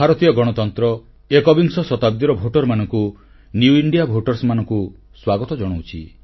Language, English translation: Odia, The Indian Democracy welcomes the voters of the 21st century, the 'New India Voters'